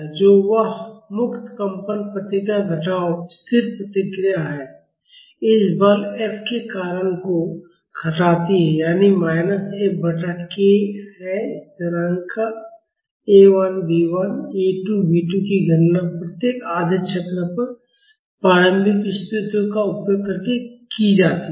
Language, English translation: Hindi, nt), that is the free vibration response minus the static response due to this force F that is minus F by k; the constants A 1 B 1, A 2 B 2 are calculated using the initial conditions at each half cycle